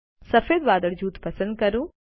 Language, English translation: Gujarati, Select the white cloud group